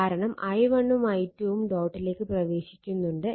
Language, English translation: Malayalam, So, i1 actually entering into the dot